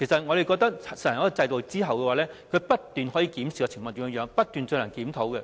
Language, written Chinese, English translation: Cantonese, 我覺得實行一種制度後，可以不斷檢視情況，不斷進行檢討。, I think a system after implementation can be examined and reviewed continuously